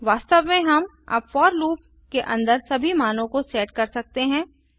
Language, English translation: Hindi, In fact now we can set all the values inside the for loop